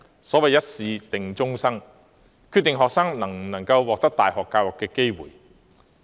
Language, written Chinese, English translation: Cantonese, 所謂"一試定終生"，一次考試便決定了學生能否獲得大學教育的機會。, As the saying Ones life being determined by one examination goes whether students have the opportunity to receive university education is determined by one single examination